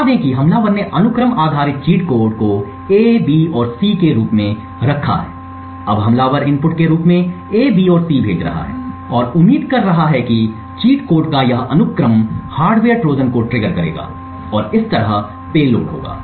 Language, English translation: Hindi, Let us say that the attacker has kept sequence cheat code as A B and C now the attacker is sending A B and C as the input and is hoping to hoping that this sequence of cheat codes would trigger the hardware Trojan and thereby the payload